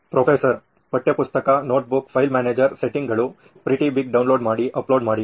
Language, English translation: Kannada, Textbook, notebook, file manager, settings, pretty big, download, upload